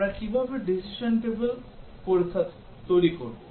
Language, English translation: Bengali, How do we develop the decision table testing